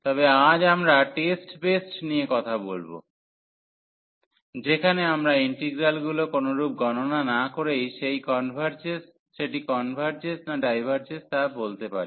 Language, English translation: Bengali, But today we will be talking about, some test based on which we can conclude that the integral converges or diverges without evaluating the integral